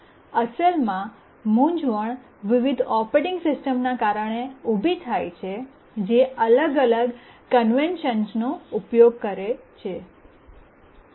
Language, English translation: Gujarati, Actually the confusion arises because different operating systems they use different conventions